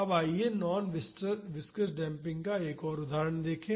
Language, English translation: Hindi, Now, let us see another example of non viscous damping